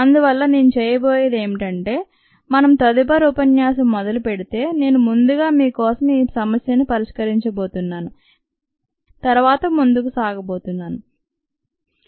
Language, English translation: Telugu, therefore, what i am going to do is, when we begin the next lecture, i am going to solve this first for you and then go forward